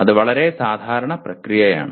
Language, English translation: Malayalam, That is a very normal process